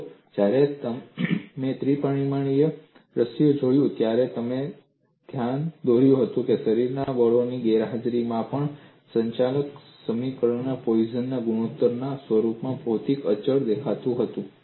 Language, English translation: Gujarati, See I had pointed out when we looked at a three dimensional scenario, even in the absence of body forces, the governing equation had a material constant appearing in the form of Poisson's ratio